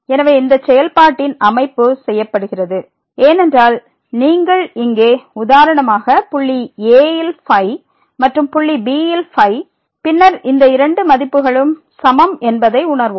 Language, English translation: Tamil, So, for the setting of this function is done because if you compute here for example, the at the point and at the point then we will realize that these two values are also equal